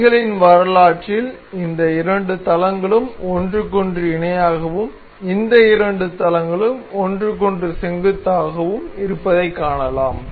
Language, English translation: Tamil, So, in the mating history we can see these two these two planes are parallel with each other and the these two planes are perpendicular with each other